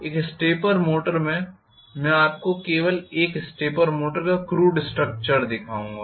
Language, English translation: Hindi, In a stepper motor I will just show you crude structure of a stepper motor